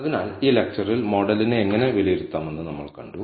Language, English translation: Malayalam, So, in this lecture, we saw how to assess the model